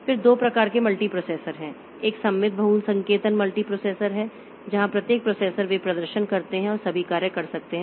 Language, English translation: Hindi, One is symmetric multiprocessing multiprocessor where each processor they perform can perform all tasks